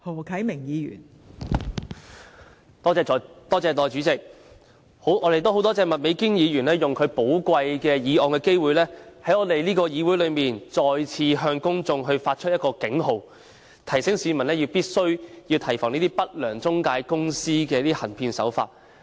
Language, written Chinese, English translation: Cantonese, 我們很感謝麥美娟議員使用她提出議案的寶貴機會，在議會再次向公眾發出警號，提醒市民必須提防不良中介公司的行騙手法。, We thank Ms Alice MAK for using her precious opportunity of proposing a motion in the Legislative Council to sound a warning to the public again alerting them to the fraud practices of unscrupulous intermediaries . Some people may say that money is borrowed with mutual consent